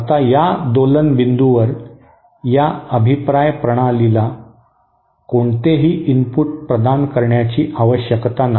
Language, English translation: Marathi, Now at the point of oscillation, no input needs to be provided to this feedback system